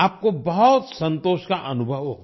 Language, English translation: Hindi, You will feel immense satisfaction